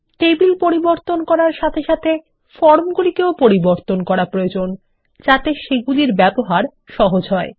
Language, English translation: Bengali, Along with table changes, we will also need to modify the forms to make them easier to use